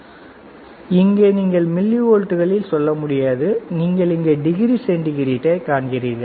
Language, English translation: Tamil, So, here you will not be able to say millivolts, here you will be able to see degree centigrade, you see here degree centigrade